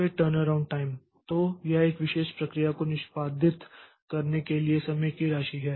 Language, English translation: Hindi, Then the turnaround time so it is amount of time to execute a particular process